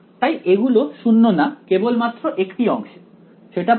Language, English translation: Bengali, So, they are nonzero only in one part of the segment that clear ok